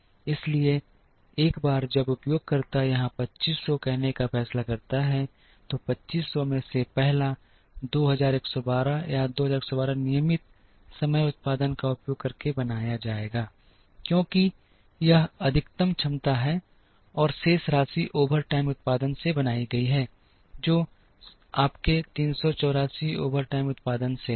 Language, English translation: Hindi, So, once the user decides say 2500 here, the first 2112 or 2112 out of 2500 will be made using regular time production, because that is the maximum capacity, and the balance is made from overtime production which is your 384 from overtime production